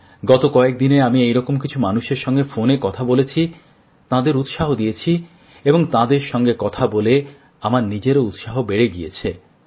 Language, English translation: Bengali, During the course of the last few days, I spoke to a few such people over the phone, boosting their zeal, in turn raising my own enthusiasm too